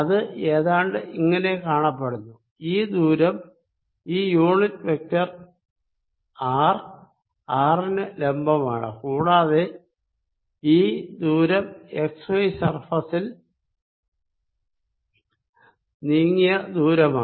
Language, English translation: Malayalam, this element is going to look something like this: where this distance this is unit vector r is perpendicular to r and this distance is going to be distance moved in the x y plane